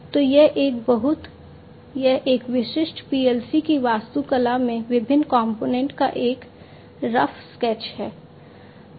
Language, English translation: Hindi, So, this is at a very, it is a rough sketch, just a rough sketch of the different components in the architecture of a typical PLC